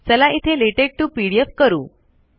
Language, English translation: Marathi, Okay lets do latex to pdf